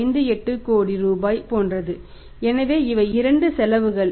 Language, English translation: Tamil, 58 crore so these are the two cost